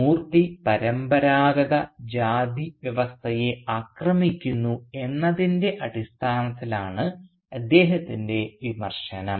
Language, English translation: Malayalam, So when he also criticises Moorthy his criticism is based on the fact that Moorthy is attacking the age old traditional caste system